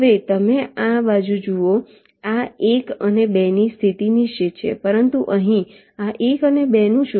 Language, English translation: Gujarati, now you see, on this side the position of this one and two are fixed